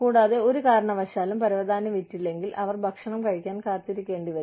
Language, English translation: Malayalam, And, for whatever reason, if the carpet is not sold, they will have to wait, to eat